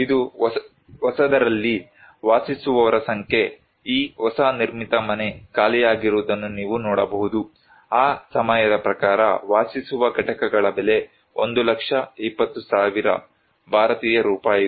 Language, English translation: Kannada, This is the number of occupancy in the new, you can see these new constructed house is lying empty, the cost of dwelling units was 1 lakh 20,000 Indian rupees according to that time comparatively much higher